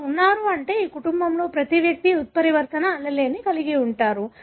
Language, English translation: Telugu, They are present that means every individual of this family carries the mutant allele